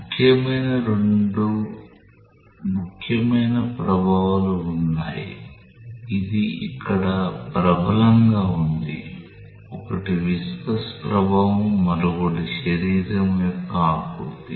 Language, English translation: Telugu, There are two important effects which are important; which prevalent here, one is the viscous effect, another is the contour of the body